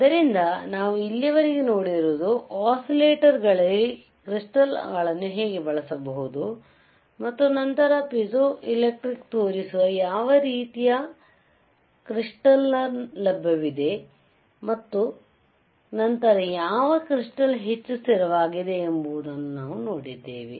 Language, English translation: Kannada, So, what we have seen until now is how the crystals can be used in oscillator, and then what kind of crystals are available which shows the piezoelectric properties, isn’t it shows the piezoelectric property and then we have seen that which crystal is more stable, which crystal is more stable and